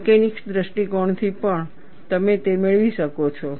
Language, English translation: Gujarati, From mechanics point of view also, you could get this